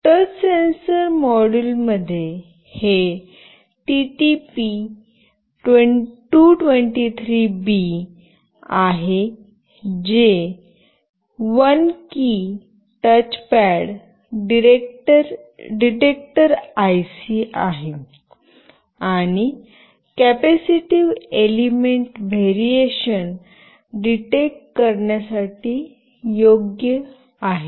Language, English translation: Marathi, The touch sensor module contains this TTP223B which is a 1 key touch pad detector IC and is suitable to detect capacitive element variations